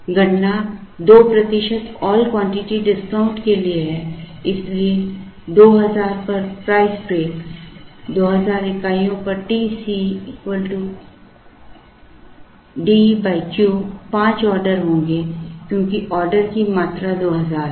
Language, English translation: Hindi, The computations are for a 2 percent all quantity discount so the price break at 2000, at 2000 units T C would be D by Q, there will be five orders because the order quantity is at 2000